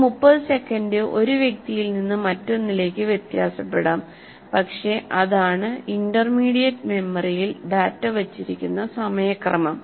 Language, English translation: Malayalam, These 30 seconds may differ from one individual to the other, but that is the order, order of the time for which the intermediate memory holds on to the data